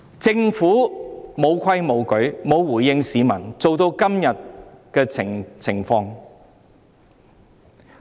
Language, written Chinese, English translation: Cantonese, 政府"無規無矩"，沒有回應市民，弄至今天的境地。, The Government defies rules and regulations and fails to respond to the public thus giving rise to the situation nowadays